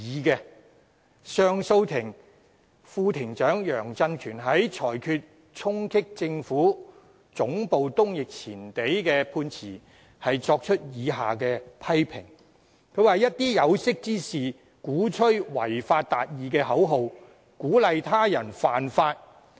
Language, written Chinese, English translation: Cantonese, 上訴法庭副庭長楊振權在裁決衝擊政府總部東翼前地一案的判詞中，便作出了以下批評："一些有識之士，鼓吹'違法達義'的口號，鼓勵他人犯法。, In his judgment of the case of charging at the Central Government Offices East Wing Forecourt Mr Justice Wally YEUNG Vice - President of the Court of Appeal of the High Court made the following comments Certain individuals of learning advocate achieving justice by violating the law and under this slogan they encourage others to break the law